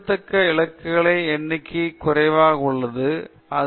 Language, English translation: Tamil, And the number of significant digits is limited, it’s consistent